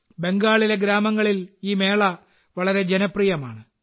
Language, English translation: Malayalam, This fair is very popular in rural Bengal